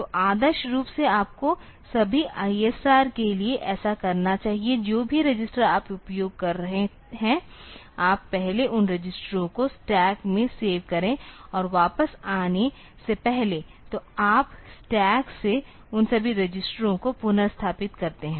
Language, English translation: Hindi, So, ideally you should do this for all ISR; whatever register you are using, you first save those registers into stack and before coming back; so you restore all those registers from the stack